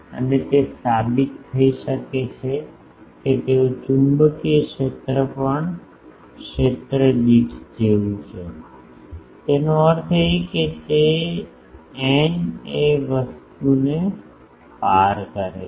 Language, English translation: Gujarati, And, it has been it can be proved that they are the magnetic field is also like the per field; that means, that n cross that thing